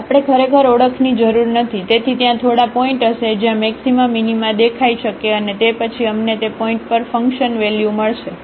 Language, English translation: Gujarati, We do not have to actually go for the identification, so there will be few points where the maxima minima can appear and then we will get the function value at those points